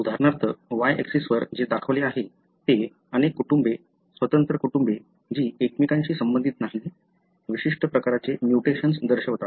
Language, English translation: Marathi, For example, what is shown on the y axis ishow many families, independent families, that are not related to each other show a particular type of mutation